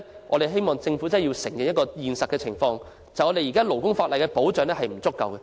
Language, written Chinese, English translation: Cantonese, 我們希望特區政府面對現實，承認現行勞工法例保障不足。, We hope the SAR Government will face the reality and admit the inadequacy of protection in the existing labour legislation